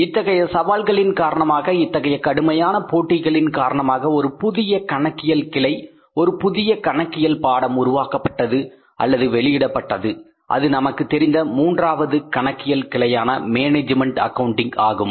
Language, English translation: Tamil, Because of these challenges, because of this intensified competition a new branch of accounting a new discipline of accounting was developed emerged and we knew it the third branch of accounting called as management accounting